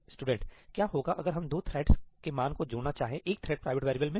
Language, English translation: Hindi, What happens if we want to add the values of two threads into a thread private variables k